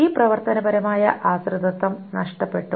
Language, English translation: Malayalam, This functional dependency is lost